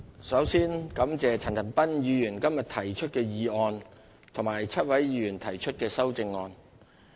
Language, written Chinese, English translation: Cantonese, 首先感謝陳恒鑌議員今日提出的議案，以及7位議員提出的修正案。, I would like to thank Mr CHAN Han - pan for moving the motion today and seven Honourable Members for their amendments